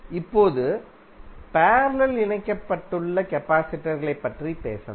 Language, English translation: Tamil, Now, let us talk about the capacitors which are connected in parallel